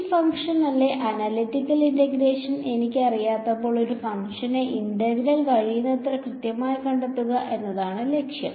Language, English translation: Malayalam, objective is find out the integral of a function as it accurately as possible, when I do not know the analytical integration of this function